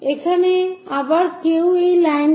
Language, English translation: Bengali, Here again, one will see that line